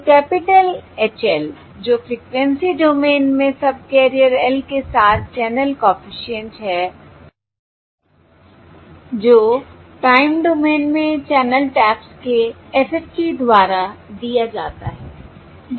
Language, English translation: Hindi, alright, So the capital HL, which is the channel coefficient across subcarrier L in the frequency domain, is given by the FFT of the uh, the ta channel tabs in the time domain